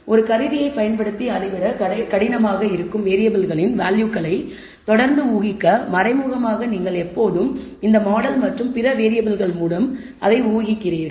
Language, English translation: Tamil, To continuously infer values of variables which are difficult to measure using an instrument, indirectly you are always inferring it through this model and other variables